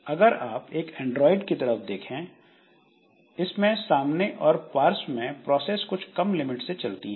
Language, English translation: Hindi, So, if you look into Android, so it runs foreground and background with fewer limits